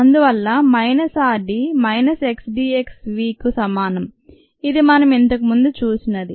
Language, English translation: Telugu, therefore, minus r d equals minus k d x v, which is what we had seen earlier